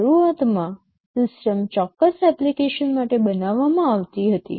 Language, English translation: Gujarati, The system was initially designed for certain application